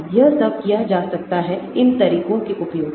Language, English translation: Hindi, so all these can be done using these methods